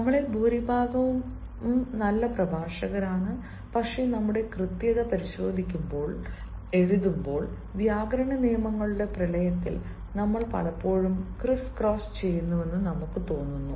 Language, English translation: Malayalam, we are, most of us, good speakers, but when it comes to writing, when it comes to checking our correctness, we feel that, in the deluce of grammatical rules, we often criss cross